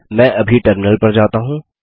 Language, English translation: Hindi, Let me switch to the terminal now